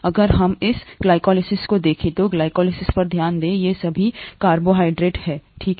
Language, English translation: Hindi, If we look at this glycolysis, focus on glycolysis, all these are carbohydrates, fine